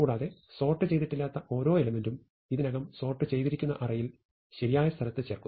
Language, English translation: Malayalam, And we insert each unsorted element into the correct place in the already sorted sequence